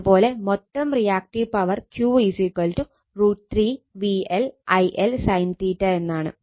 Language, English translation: Malayalam, Similarly, total reactive power is Q is equal to root 3 V L I L sin theta